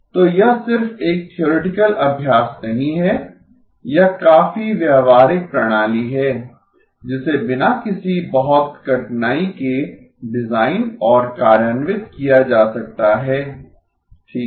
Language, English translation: Hindi, So this is not just a theoretical exercise, this is quite a practical system that can be designed and implemented without too much of difficulty okay